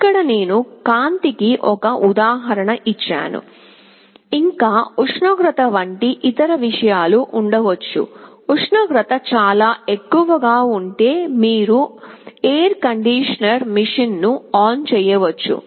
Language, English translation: Telugu, Here, I have given an example of light; there can be other things like temperature, if the temperature becomes too high, you can switch ON the air conditioning machine